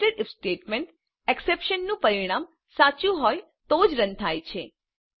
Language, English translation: Gujarati, Netsed if statement is run, only if the result of the expression is true